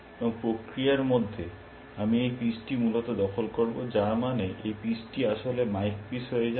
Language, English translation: Bengali, And in the process, I will capture this piece essentially, which means this piece becomes actually mike piece